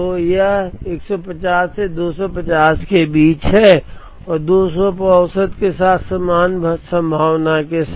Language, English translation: Hindi, So, this is from 150 to 250 with equal probability with the mean at 200